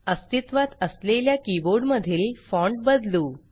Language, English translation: Marathi, Let us change the fonts in the existing keyboard